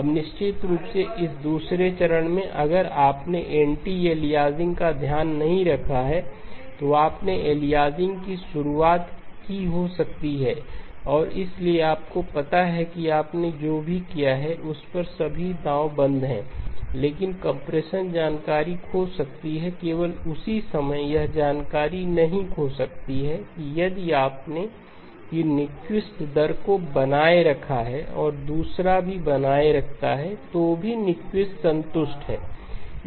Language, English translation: Hindi, Now of course in this second step if you had not taken care of anti aliasing, you may have introduced aliasing and therefore you know all bets are off on what you have done to but so compression may lose information, the only time it will not lose information is that if you have retained the Nyquist rate and the second one also retains is still satisfies Nyquist